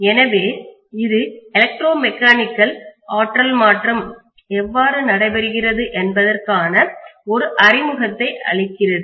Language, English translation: Tamil, So this is just giving an introduction to how electromechanical energy conversion takes place